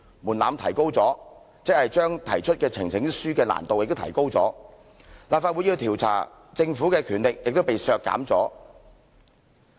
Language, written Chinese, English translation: Cantonese, 門檻提高即是將提交呈請書的難度提高，立法會要調查政府的權力亦被削減。, A higher threshold means greater difficulties in presenting a petition and this will undermine LegCos power of inquiring into the Government